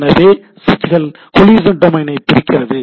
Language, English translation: Tamil, So, switches breaks up collision domain